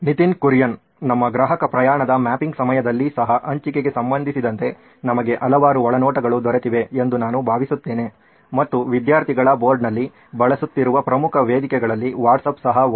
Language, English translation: Kannada, I think even during our customer journey mapping we’ve got several insights regarding sharing, and one of the key platforms students were using across the board was WhatsApp